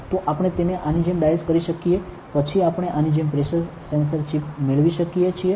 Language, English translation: Gujarati, So, we can dice it like this, then we can get a pressure sensor chip like this